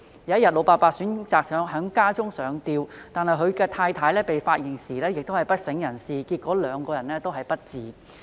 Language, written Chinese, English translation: Cantonese, 有一天，老伯伯選擇在家中上吊，而他的太太被發現時亦已不省人事，最後兩人終告不治。, One day the elderly man chose to hang himself at home and his wife was also found unconscious . Both of them were certified dead subsequently